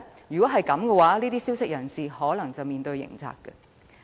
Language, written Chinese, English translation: Cantonese, 此舉只會令提供消息的人士有面對刑責之虞。, By doing so the informants will only be made to face the risk of criminal liability